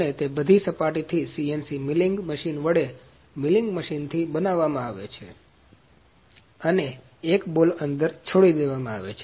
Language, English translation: Gujarati, And it is machined with milling machine, with a CNC milling machine from all the faces and a ball is left inside